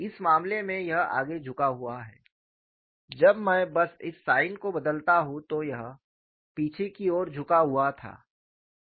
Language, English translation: Hindi, In this case it is forward tilted when I just change this sign it is backward tilted